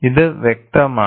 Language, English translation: Malayalam, And this is obvious